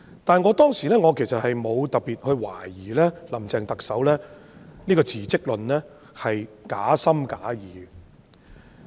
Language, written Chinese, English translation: Cantonese, 不過，我當時並無特別懷疑特首"林鄭"的辭職論是假情假義。, Yet at that time I did not particularly doubt that the manifesto of resignation made by Chief Executive Carrie LAM was hypocritical